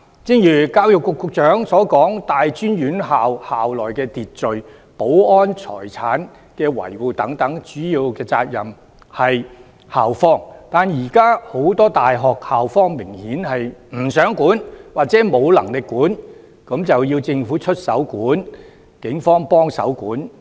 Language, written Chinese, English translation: Cantonese, 正如教育局局長所說，大專院校的校內秩序、保安、財產的維護等，主要責任在於校方，但現時很多大學的校方明顯不想規管或沒能力規管，這樣就要政府出手規管，警方協助規管。, As the Secretary for Education has pointed out it is mainly the responsibility of the university administrations to maintain the order security and properties of these tertiary institutions . But obviously many university administrations are unwilling or unable to do so . It is thus necessary for the Government to take regulatory actions with the assistance of the Police